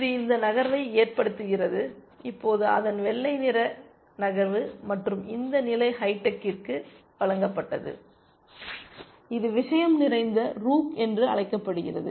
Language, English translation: Tamil, That makes this move and now its white’s turn to move and this position was given to hi tech essentially, this is called the poisoned rook